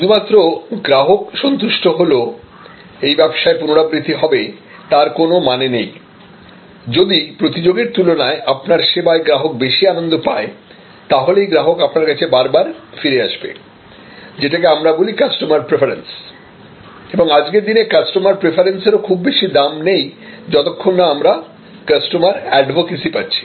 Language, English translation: Bengali, Repeat business is not ensure by customer just being satisfied, repeat business is ensured, if customer in comparison to competition is delighted with your service and then, you have what we call customer preference and today customer preference, until and unless you get customer advocacy is really of not that much value